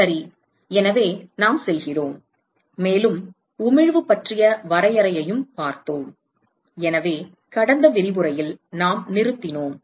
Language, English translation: Tamil, All right, so, we going to, and we also looked at we also looked at definition of emissivity, so, that is where we stopped in the last lecture